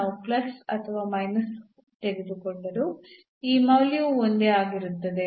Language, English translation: Kannada, So, this value whether we take plus and minus will remain the same